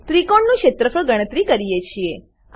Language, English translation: Gujarati, Then we calculate the area of the triangle